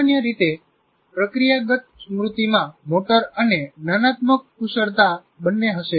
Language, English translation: Gujarati, So, generally procedural memory will have both the motor, involves motor and cognitive skills